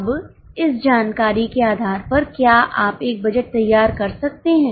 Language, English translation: Hindi, Okay, now based on this information, are you able to prepare a budget